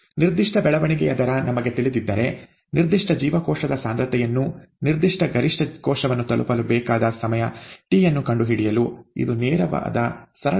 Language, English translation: Kannada, And if we know the specific growth rate apriori, this is a straight forward simple calculation to find out the time t that is needed to reach a given maximum cell a given cell concentration, okay